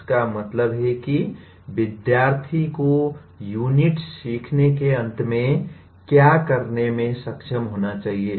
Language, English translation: Hindi, That means what should the student be able to do at the end of a learning unit